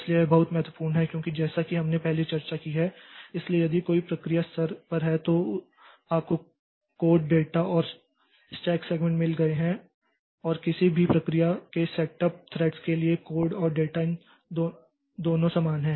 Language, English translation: Hindi, So, this is very important because as we have discussed previously so if there is a any at the process level you have got code data and stack segments and for a set of threads of any, the code and data so these two are same